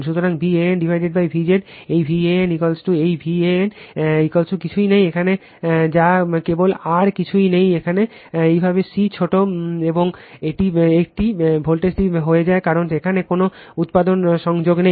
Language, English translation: Bengali, So, V AN upon V Z this V AN is equal to this V AN is equal to nothing is there, here which is simply r nothing is there is equal to your C small an this one, this voltage it becomes because no element is connected here